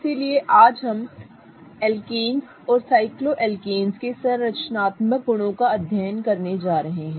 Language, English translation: Hindi, So, today we are going to study the structural properties of alkanes and cycloalkanes